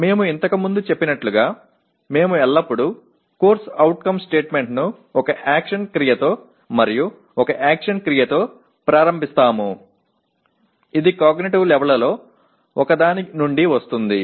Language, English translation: Telugu, As we stated earlier, we always start a CO statement with an action verb and an action verb it comes from one of the cognitive levels